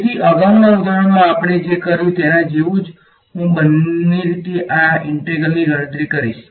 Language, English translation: Gujarati, So, exactly similar to what we did in the previous example I will calculate this integral on by both ways